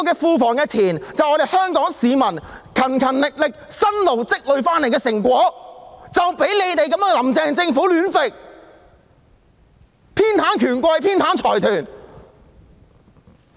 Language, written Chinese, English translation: Cantonese, 庫房的錢，是香港市民辛勤工作所積累的成果，卻被"林鄭"政府亂用、偏袒權貴及財團。, The money in the public treasury is the fruits of Hong Kong peoples hard work but it has been misused by Carrie LAM Administration which favoured the rich and the powerful as well as the consortia